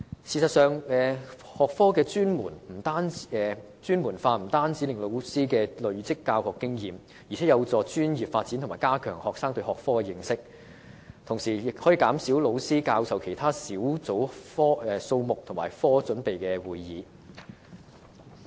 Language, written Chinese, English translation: Cantonese, 事實上，學科專門化不但可令老師累積教學經驗，還有助老師的專業發展及加強學生對學科的認識，更可減少老師參與的其他小組數目及科組備課會議。, In fact subject specialization can enable teachers to accumulate teaching experience and is also conducive to the professional development of teachers and enhancing students knowledge of the subject concerned not to mention that it can reduce the number of groups and lesson planning meetings that a teacher is required to join in respect of other subjects